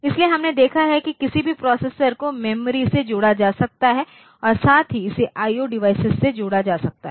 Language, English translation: Hindi, So, we have seen that any processor can be connected to the memory as well as it can be connected to the IO devices